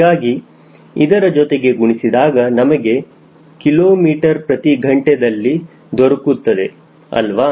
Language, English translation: Kannada, so multiply this will give you kilometer per hour roughly, right